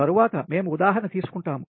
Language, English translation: Telugu, next we will take one example, for example